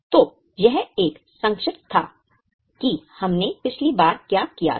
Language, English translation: Hindi, So, this was a brief of what we did last time